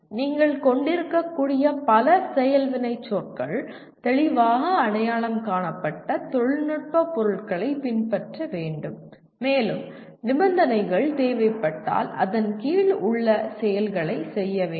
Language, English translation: Tamil, And the action verbs you can have multiple of them, should be followed by clearly identified technical objects and if required by conditions under which the actions have to be performed